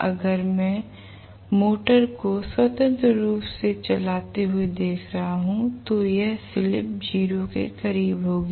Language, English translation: Hindi, If I am looking at the motor running freely this slip will be close to 0